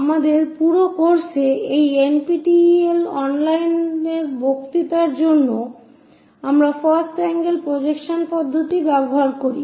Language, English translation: Bengali, In our entire course, for these NPTEL online lectures, we go with first angle system